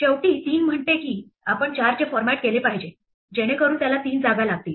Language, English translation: Marathi, Finally, 3 says that we must format 4 so that it takes three spaces